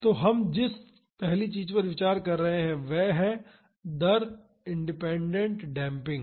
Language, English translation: Hindi, So, the first one we are considering is rate independent damping